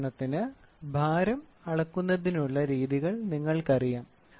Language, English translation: Malayalam, For example, you see the methods of measurement weight